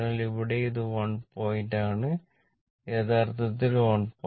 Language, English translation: Malayalam, So, here also it is 1 point actually it is 1